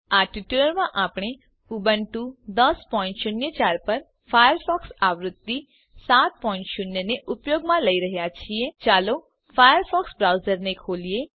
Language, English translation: Gujarati, In this tutorial, we are using Firefox version 7.0 on Ubuntu 10.04 Let us open a Firefox browser